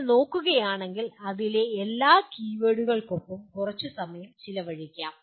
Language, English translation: Malayalam, If you look at, let us spend a little time with all the keywords in that